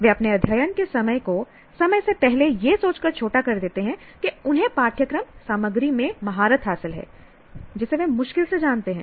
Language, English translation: Hindi, They shorten their study time prematurely thinking that they have mastered course material that they barely know